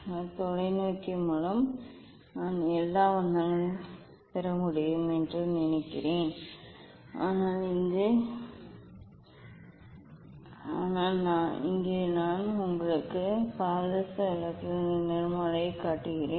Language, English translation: Tamil, But I think through the telescope I will be able to see all colours but, here just I am showing you the spectrum of the mercury lights